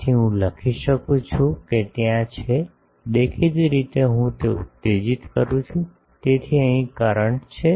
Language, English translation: Gujarati, So, I can write that there is; obviously, I am exciting it; so, there is current here